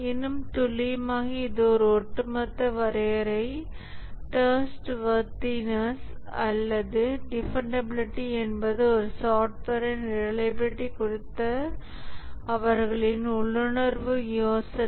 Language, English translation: Tamil, More accurately, this is a very overall definition, trustworthiness or dependability, is the intuitive idea of the reliability of a software